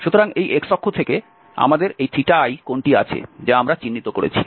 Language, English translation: Bengali, So, from this x axis we have this angle Theta i which we are denoting